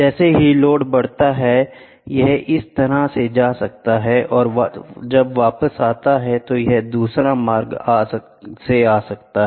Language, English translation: Hindi, As the load increases, it might go like this and when it comes back, it traces another route